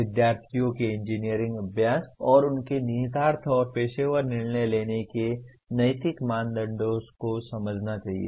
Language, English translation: Hindi, Students should understand the ethical norms of engineering practice and their implication and professional decision making